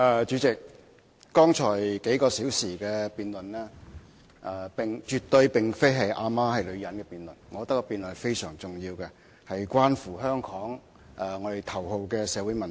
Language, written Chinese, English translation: Cantonese, 主席，剛才數小時絕對並非"阿媽是女人"的辯論，我覺得這辯論非常重要，關乎香港的頭號社會問題。, President the debate in the past few hours is definitely not an argument depicted as My mother is a woman; instead I find this debate very important as it is related to the topmost social problem in Hong Kong